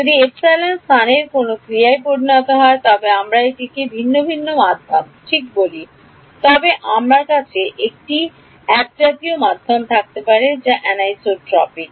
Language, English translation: Bengali, If epsilon becomes a function of space then we call it a heterogeneous medium ok, but I can have a homogeneous medium that is anisotropic